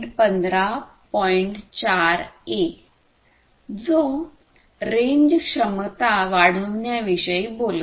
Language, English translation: Marathi, 4a, which talks about increasing the range capability